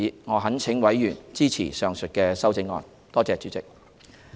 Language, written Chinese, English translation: Cantonese, 我懇請委員支持上述修正案。, I implore Members to support these amendments